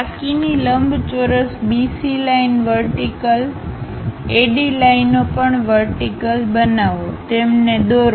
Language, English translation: Gujarati, Construct the remaining rectangle BC lines vertical, AD lines also vertical, draw them